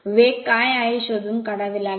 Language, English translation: Marathi, You have to find out what is the speed right